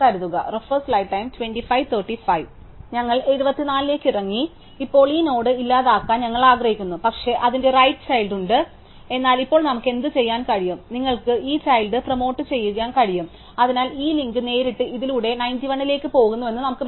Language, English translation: Malayalam, So, we come down to 74, now we want to delete this node, but it has the right child, but now what we can do, you can promote this child, so we can just kind of pretend that this link goes directly through this to 91